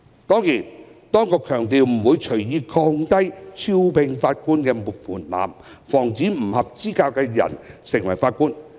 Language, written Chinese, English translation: Cantonese, 雖然當局強調不會隨意降低招聘法官的門檻，以防止不合資格人士成為法官。, The authorities stress that the recruitment threshold for Judges will not be casually lowered so as to prevent unqualified persons from becoming Judges